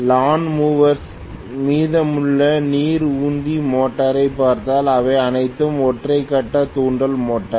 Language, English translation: Tamil, Lawn mowers if you look at rest of pumping, water pumping motor those are all single phase induction motor